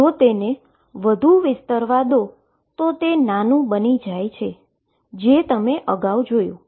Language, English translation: Gujarati, If let it spread it tends to become smaller and you seen this earlier